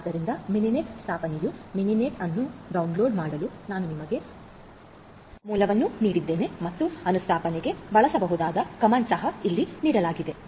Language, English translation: Kannada, So, Mininet installation you know I have given you the source for downloading Mininet and also for installation the comment that can be used is also given over here